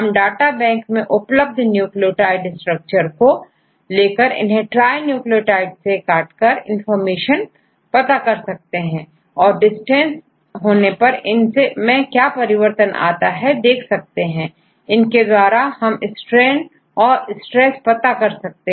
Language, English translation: Hindi, So, we take the set off nucleotide structures available in the data bank, and cut into trinucleotides and get the dimension, how they change in the distance and we convert this, these values to calculate the strain and stress we know